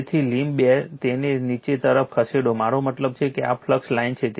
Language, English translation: Gujarati, So, thumb it moving downwards I mean this is the flux line